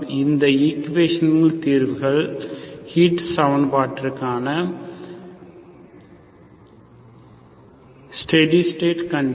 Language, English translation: Tamil, The solutions of this equations are, steady state condition for the heat equation